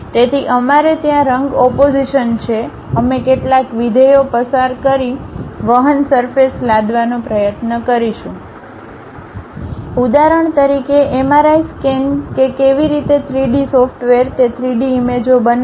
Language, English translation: Gujarati, So, we have color contrast from there we will try to impose certain functions pass curves surfaces through that to create something like an object for example, like MRI scan how the software really construct that 3D images